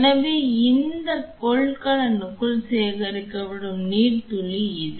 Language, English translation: Tamil, So, this is the droplet here which is getting collected inside this container